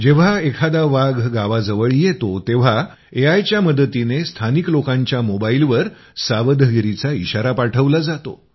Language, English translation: Marathi, Whenever a tiger comes near a village; with the help of AI, local people get an alert on their mobile